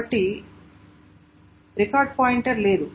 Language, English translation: Telugu, Then there is no record pointer